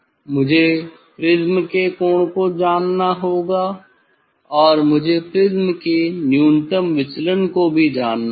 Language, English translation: Hindi, I have to know the angle of the prism and also, I have to know the minimum deviation of the prisms